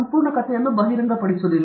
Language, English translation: Kannada, Journal publications do not reveal the full story